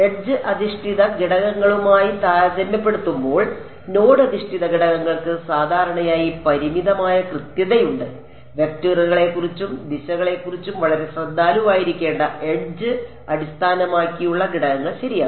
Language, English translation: Malayalam, Node based elements typically have limited accuracy compared to edge based elements, edge based elements required to be very careful about vectors and directions ok